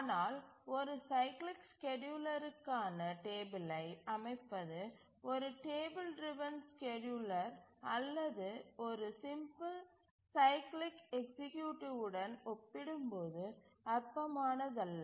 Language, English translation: Tamil, But setting of the schedule for a cyclic scheduler is non trivial compared to a table driven scheduler or a simple cyclic executive